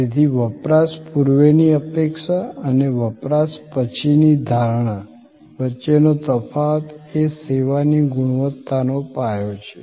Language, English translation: Gujarati, So, this difference between the or the gap between the pre consumption expectation and post consumption perception is the foundation of service quality